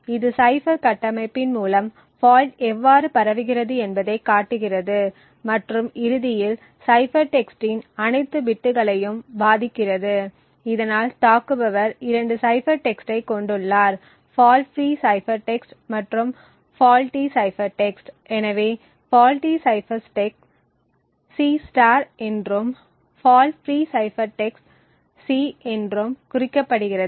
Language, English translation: Tamil, The error due to the fault then propagates to the remaining parts of the cipher, so these are red lines over here show how the fault propagates through the cipher structure and eventually effects all the bits of the cipher text thus the attacker has 2 cipher text the fault free cipher text and the faulty cipher text, so the faulty cipher text is denoted as C* and the fault free cipher text is denoted by C